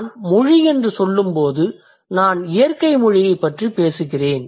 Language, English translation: Tamil, And when I say language, I'm talking about natural language